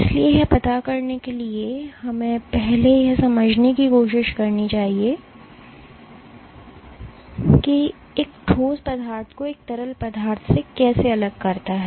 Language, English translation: Hindi, So, in order to address that we must first try to understand what distinguishes a solid from a liquid